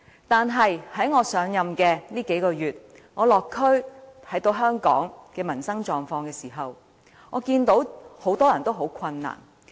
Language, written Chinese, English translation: Cantonese, 但是，在我上任以來的數個月，我落區看到香港的民生狀況，我看到很多人也十分困難。, However in the past few months since I took office I can see that many people are living a very difficult life during district visits to find out peoples livelihood condition